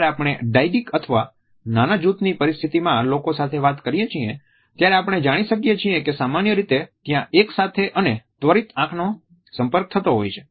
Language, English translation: Gujarati, Whenever we talk to people either in a dyadic situation or in a small group situation, we find that simultaneous and immediate eye contact is normally there